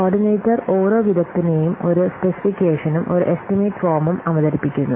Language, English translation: Malayalam, The coordinator presents each expert with a specification and an estimation form